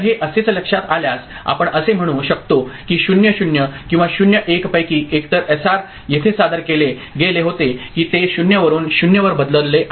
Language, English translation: Marathi, So, if this is what is observed, we can say that either of 0 0 or 0 1 was presented at SR to make this happen that it has changed from 0 to 0